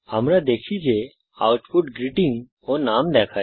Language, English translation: Bengali, We can see that the output shows the greeting and the name